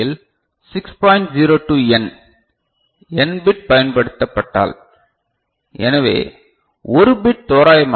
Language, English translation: Tamil, 02 n, if n bit are used, so one bit will roughly that is 6